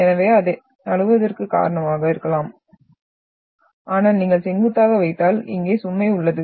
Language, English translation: Tamil, So it may result into the slipping but if you are having perpendicular then you are having the load here